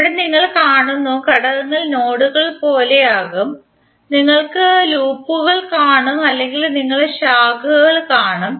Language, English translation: Malayalam, Here the elements which you will see would be like nodes, we will see the loops or we will see the branches